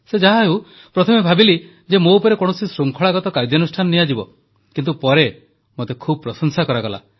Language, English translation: Odia, So, at first it seemed that there would be some disciplinary action against me, but later I garnered a lot of praise